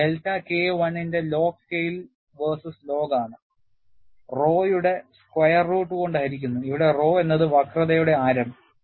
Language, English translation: Malayalam, You have a graph drawn; this is between the number of cycles; this is the log scale versus log of delta K 1 divided by square root of rho, where rho is the radius of curvature